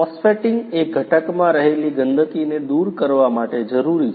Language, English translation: Gujarati, Phosphating is required to clean the dirt in the component